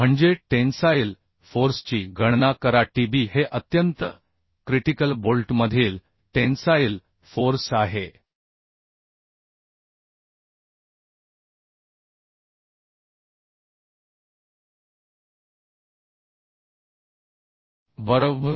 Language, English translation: Marathi, calculate Tb: this is tensile force in extreme critical bolt, right